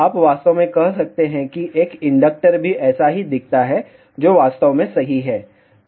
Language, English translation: Hindi, You may actually say even an inductor looks like that only, which is actually correct